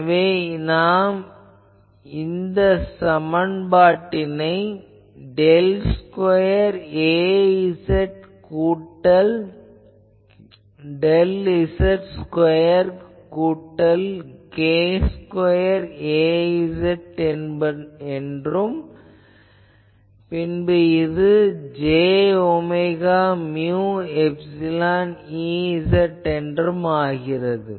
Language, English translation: Tamil, So, we will have to solve this equation del square A z plus del z square plus k square A z is equal to j omega mu epsilon E z